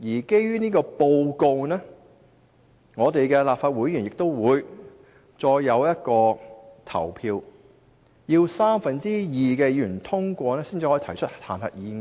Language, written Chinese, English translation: Cantonese, 基於這份報告，立法會議員亦需再進行表決，如獲三分之二議員通過才可提出彈劾議案。, Members will then have to vote again on that report . The motion of impeachment can only be initiated with the approval of two thirds of Members